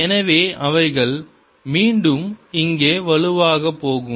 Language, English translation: Tamil, so they'll go like this: strong again here